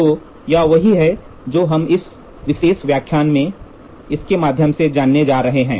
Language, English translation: Hindi, So, this is what we are going to get the we are going to go through this in this particular lecture